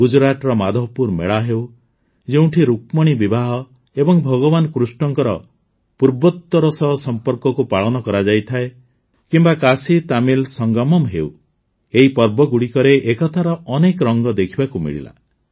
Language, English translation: Odia, Be it the Madhavpur Mela in Gujarat, where Rukmini's marriage, and Lord Krishna's relationship with the Northeast is celebrated, or the KashiTamil Sangamam, many colors of unity were visible in these festivals